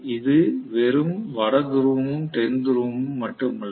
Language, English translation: Tamil, It is not only a North Pole and South Pole per se